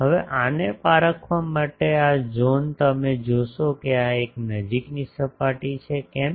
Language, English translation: Gujarati, Now, to distinguish that, this zone you see that this is a close surface, why